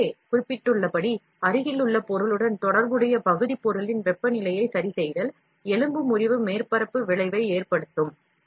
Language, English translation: Tamil, As mentioned earlier adjacent, adjustment of the temperature of the part material relative to the adjacent material, can result in a fracture surface effect